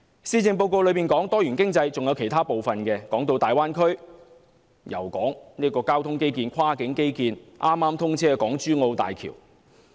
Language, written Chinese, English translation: Cantonese, 施政報告有關多元經濟的部分，還有其他內容，提到大灣區、交通基建、跨境基建，以及剛剛通車的港珠澳大橋。, The section on diversified economy in the Policy Address also covers other content including the Greater Bay Area transport infrastructure cross - border infrastructure and HZMB which has just commenced operation